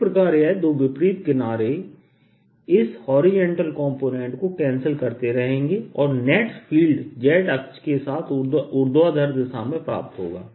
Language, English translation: Hindi, this will give me a field in this direction so that two opposite ends will keep cancelling this horizontal component and net field is going to be in the vertical direction, along the x axis